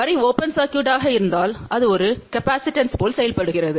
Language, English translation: Tamil, And if the line is open circuited , it behaves like a capacitance